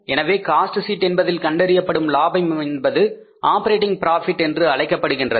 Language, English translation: Tamil, So, in the cost sheet the profit calculated is called as the operating profit, right